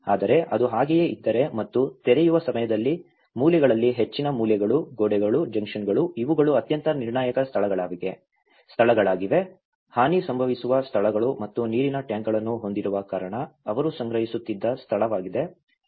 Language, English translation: Kannada, But if it is and also the corners most of the corners during the openings, at the walls, the junctions these are the most crucial places, you know where the damage occurs and also the water tanks which has because this is where they used to store the water and obviously it got damaged